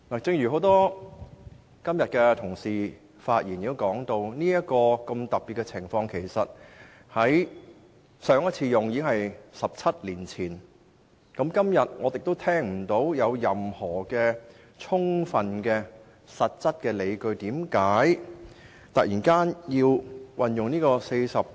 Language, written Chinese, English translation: Cantonese, 正如今天多位議員在發言時也提到，對上一次出現這種特殊情況已是17年前，但今天我卻聽不到有任何充分和實質的理據支持政府要突然引用第404條。, Just as a number of Members have mentioned in their speeches earlier today the last time this situation arose was 17 years ago . Today however I have not heard any justifiable or substantial reason for the Government to invoke RoP 404 all of a sudden